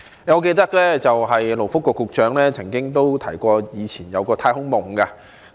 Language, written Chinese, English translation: Cantonese, 我記得勞工及福利局局長曾經提過他以前有一個"太空夢"。, As I recall the Secretary for Labour and Welfare once talked about his old space dream